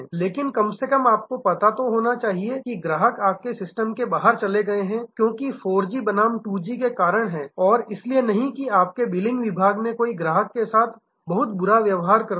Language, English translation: Hindi, But, at least you might must know that the customer has migrated as churned out of your system, because of 4G versus 2G and not because somebody on your billing department behave very badly with the customer